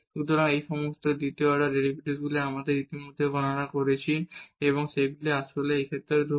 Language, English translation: Bengali, So, all these second order derivatives we have already computed and they are actually constant in this case